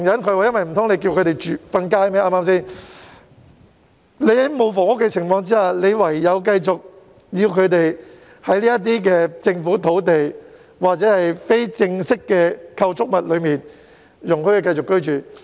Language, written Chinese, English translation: Cantonese, 對嗎？在缺乏房屋供應的情況下，便只好繼續容忍他們在這些政府土地上或非正式的構築物內居住。, Given inadequate housing supply we can only keep on tolerating their living on government land or in informal structures